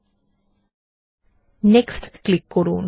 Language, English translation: Bengali, ltpausegt Click on Next